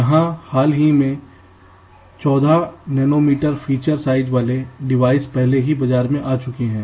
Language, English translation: Hindi, so here, very decently, devices with fourteen nanometer feature sizes have already come to the market